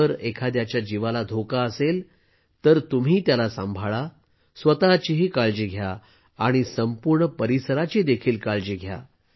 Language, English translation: Marathi, If someone's life is in danger then you must take care; take care of yourself, and also take care of the entire area